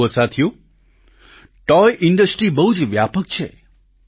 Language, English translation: Gujarati, Friends, the toy Industry is very vast